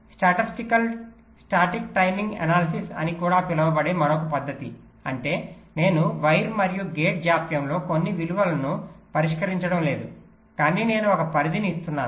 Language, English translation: Telugu, ok, and another method which is also used, sometimes called statistical static timing analysis, which means i am not fixing some values in the wire and gate delays but i am giving a range i am assuming it is a random variable and representing them by a probability distribution